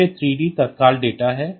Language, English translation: Hindi, So, that is the 3 d